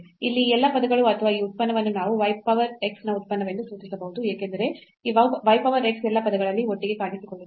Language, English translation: Kannada, So, all these terms here or this function we can denote as the function of y power x, because this y power x appears together in all the terms